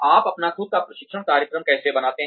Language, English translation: Hindi, How do you create your own training program